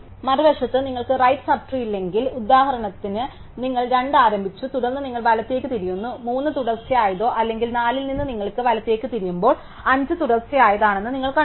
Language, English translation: Malayalam, On the other hand, if you do not have a right sub tree then for instance you started 2, then you walk up and that they where you turn right, you find that 3 is the successive or from 4 you walk up and you very term right you find that 5 is successive